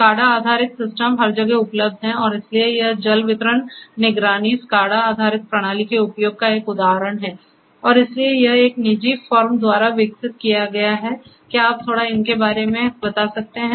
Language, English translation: Hindi, So, SCADA based systems are available everywhere and you know so this is an example of the use of SCADA based system in for water distribution monitoring and so on and so, this has been developed by one of the private farms what it can you speak little bit about